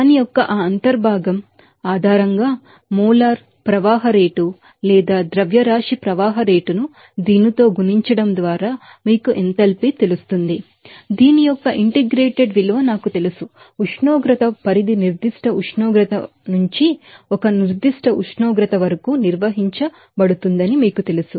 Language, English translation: Telugu, Based on that integral form of that you know enthalpy just by multiplying molar flow rate or mass flow rate with this you know i integrated value of this you know specific capacity within a certain range of temperature that temperature range can be you know defined from the reference temperature to a certain temperature there